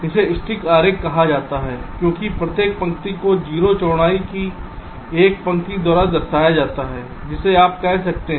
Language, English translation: Hindi, this is called a stick diagram because each line is represented by a line of, ok, zero width